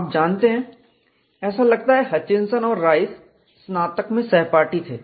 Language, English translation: Hindi, You know it appears Hutchinson and Rice were UG classmates